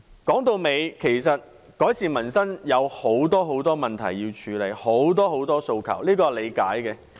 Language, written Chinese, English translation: Cantonese, 說到底，其實改善民生需要處理很多很多問題，很多很多訴求，這是可以理解的。, After all it is understandable that to improve peoples livelihood there are many issues to be addressed and many aspirations to be met